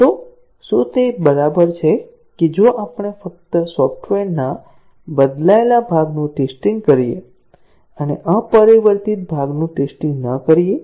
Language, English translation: Gujarati, So, is it ok that if we just test the changed part of the software and do not test the unchanged part